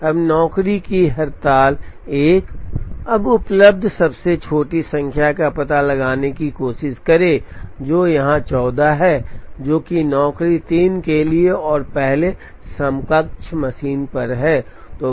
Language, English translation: Hindi, Now try to find out the smallest number that is available, which is 14 here, which is for job 3 and on first equivalent machine